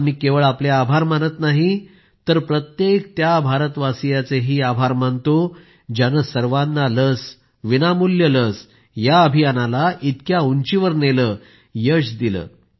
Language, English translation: Marathi, Today, I am gratefully expressing thanks, not just to you but to every Bharatvasi, every Indian who raised the 'Sabko vaccine Muft vaccine' campaign to such lofty heights of success